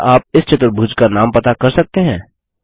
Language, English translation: Hindi, Can you figure out the name of this quadrilateral